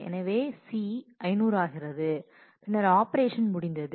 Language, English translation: Tamil, So, C becomes 500 and then the operation is finished